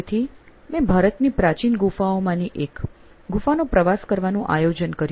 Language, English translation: Gujarati, So, I planned a trip to one of India’s ancient caves